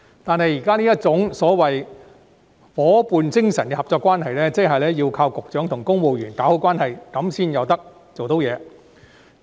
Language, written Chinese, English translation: Cantonese, 然而，現時這種夥伴精神的合作關係，要靠局長與公務員搞好關係才能成事。, But this existing cooperative relationship based on partnership must depend on good rapport between Bureau Directors and civil servants in order to be successful